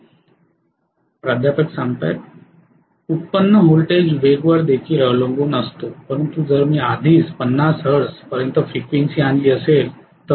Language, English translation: Marathi, The generated voltage depends upon the speed as well no doubt but if I have already brought the frequency up to 50 hertz